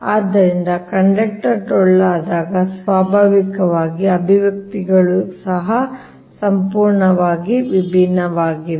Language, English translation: Kannada, so when conductor is hollow, so naturally the expressions also totally different right